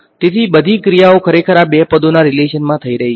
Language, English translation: Gujarati, So, all the action really is happening in the relation between these two terms